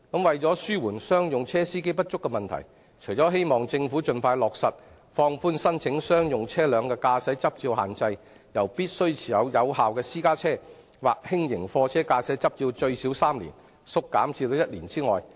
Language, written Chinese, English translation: Cantonese, 為紓緩商用車司機不足的問題，希望政府盡快落實放寬申請商用車輛駕駛執照的限制，由目前要求申請人必須持有有效私家車或輕型貨車駕駛執照最少3年縮減至1年。, To address the shortage of commercial drivers I hope that the Government will expeditiously implement a measure to relax the restriction on the application for commercial vehicle license namely to shorten the period required for holding a valid driving licence for private car or light goods vehicle from at least three years to one year